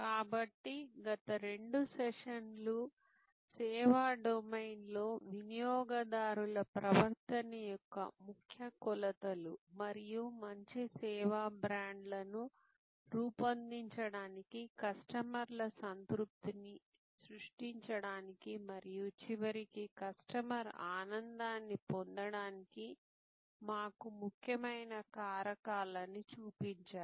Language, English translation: Telugu, So, the last two sessions have shown as key dimensions of consumer behavior in the service domain and key factors that are important for us to build good service brands, create customers satisfaction and ultimately customer delight